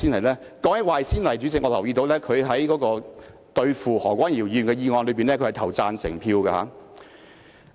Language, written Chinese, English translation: Cantonese, 說到這一點，主席，我留意到他在針對何君堯議員的議案辯論中投了贊成票。, When it comes to this point President I note that he cast a supportive vote in the motion debate pinpointing Dr Junius HO